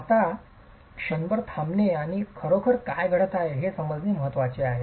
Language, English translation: Marathi, Now it's important to pause for a moment and understand what's really happening